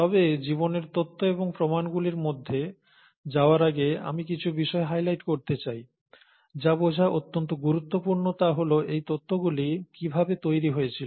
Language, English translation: Bengali, But before I get into the theories and evidences of life, I want to highlight certain things, which are very important to understand how these theories were built up